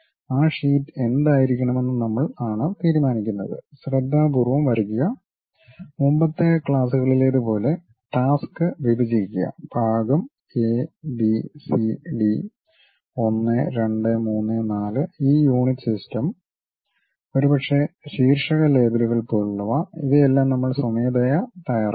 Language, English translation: Malayalam, We are the ones deciding what should be that sheet, draw it carefully, divide the task like in the earlier classes we have seen something like division a, b, c, d, 1, 2, 3, 4 and this system of units, and perhaps something like titles labels, all these things we are manually preparing it